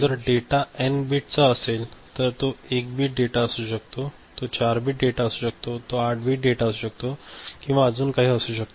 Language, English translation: Marathi, So, if the data is of n bit it could be 1 bit data, it could be 4 bit data, it could be 8 bit data and all